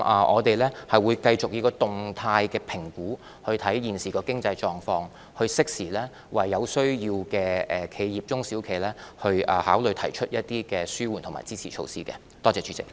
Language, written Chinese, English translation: Cantonese, 我們會繼續以動態評估來審視現時的經濟狀況，並適時考慮為有需要的中小企業提出一些紓緩和支持措施。, We will continue to review the current economic conditions with dynamic assessments and will give timely consideration to provide relief and supporting measures to the SMEs in need